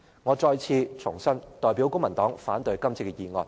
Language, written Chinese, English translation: Cantonese, 我再次重申，我代表公民黨反對今次的議案。, Let me reiterate that I oppose this motion on behalf of the Civic Party